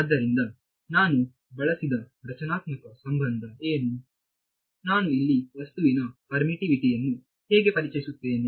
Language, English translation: Kannada, So, what is a constitutive relation I used, how would I introduce the permittivity of the object in here